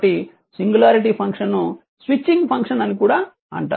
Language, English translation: Telugu, So, singularity function are also called the switching function right